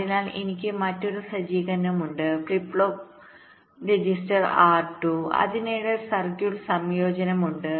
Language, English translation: Malayalam, so i have another setup, flip flop, register r two, and there is a combination of circuit in between